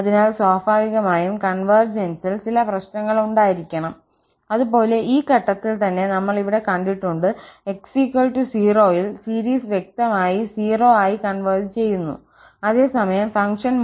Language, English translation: Malayalam, So, naturally, there must be some issues on the convergence, like, we have seen here at this point itself that x equal 0, the series converges clearly to 0 whereas, the function value at 0 is 1